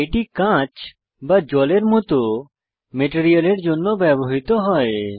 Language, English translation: Bengali, This is used for materials like glass and water